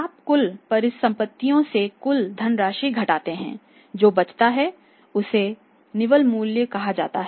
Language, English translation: Hindi, You subtract total outside funds from the total assets what is left over is that is called as net worth